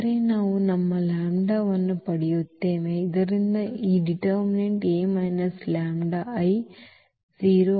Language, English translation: Kannada, But, we have we will get our lambda such that this determinant A minus lambda I will become 0